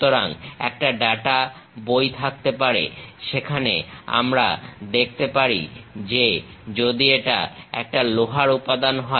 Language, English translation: Bengali, So, we will be having a data book where we can really see if it is a iron material